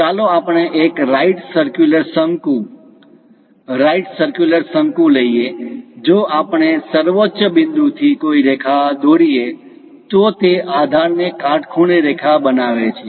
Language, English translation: Gujarati, Let us take a right circular cone; right circular cone, if we are dropping from apex a line, it makes perpendicular line to the base